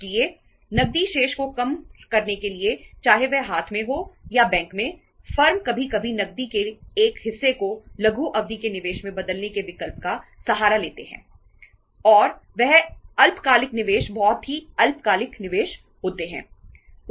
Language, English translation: Hindi, So to minimize the cash balances whether in hand or at bank firms sometimes resort to the option of converting part of the cash into the short term investments and those short term investments are very short term investments